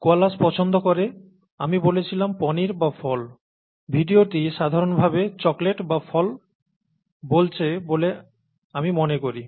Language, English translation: Bengali, Do Koalas Prefer, I said Cheese Or Fruit, I think the video says Chocolate or Fruit Generally Speaking